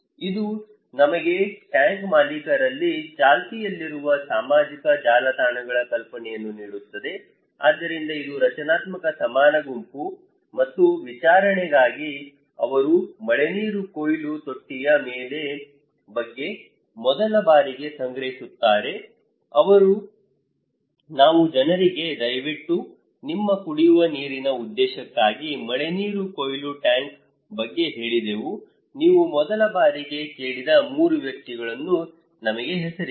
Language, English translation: Kannada, This will give us the idea of the social networks that prevails within the tank owners so, this is structural equivalent group and for the hearing, from where they collected depends the first time about the rainwater harvesting tank, we said to the people hey, please name us 3 persons from where you first time heard about rainwater harvesting tank for your drinking water purpose